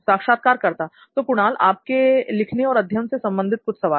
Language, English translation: Hindi, Kunal, just a few questions on your writing and learning activity